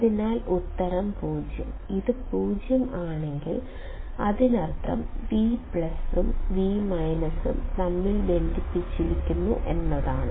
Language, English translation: Malayalam, So, the answer is 0; if this is at 0; that means, I am assuming that V plus and V minus are connected